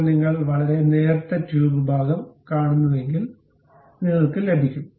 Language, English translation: Malayalam, Now, if you are seeing very thin tube portion you will get